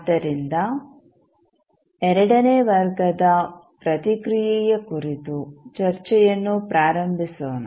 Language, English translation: Kannada, So, let us start the discussion about the second order response